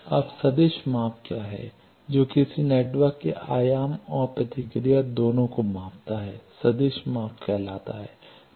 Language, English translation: Hindi, Now, what is vector measurement measuring both amplitude response and phase response of a network is called vector measurement